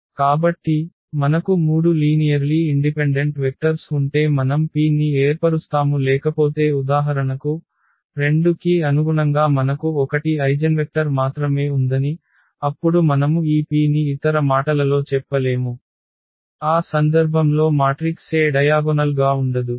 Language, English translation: Telugu, So, if we have 3 linearly independent vectors we can form this P otherwise for example, corresponding to 2 if it happens that we have only 1 eigenvector then we cannot form this P in other words the matrix A is not diagonalizable in that case